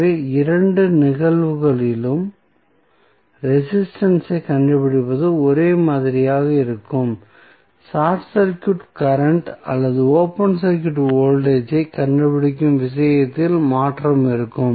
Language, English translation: Tamil, So, in both of the cases finding out the resistance will be same, change would be in case of finding out either the short circuit current or open circuit voltage